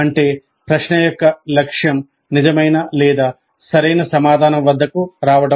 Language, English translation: Telugu, That means the objective of the question is to arrive at the true or correct answer